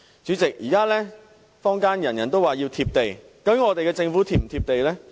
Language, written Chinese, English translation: Cantonese, 主席，現在坊間人人都說要"貼地"，究竟我們的政府是否"貼地"呢？, President now everyone in the community talks about the need to be down - to - earth . After all is our Government down - to - earth?